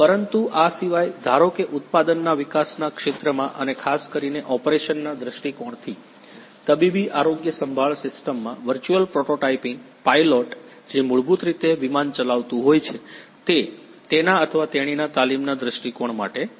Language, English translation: Gujarati, But apart from this suppose the virtual prototyping in the area of product development and in medical healthcare system particularly from the operations point of view, the pilot who is basically running the plane aircraft that for his or her training point of view